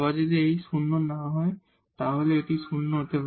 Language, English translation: Bengali, If h is non zero again this can be 0